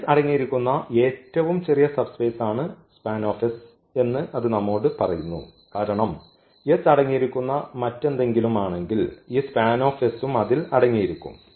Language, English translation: Malayalam, And that itself tell us that span S is the smallest subspace which contains this S because anything else which contains s will also contain this span S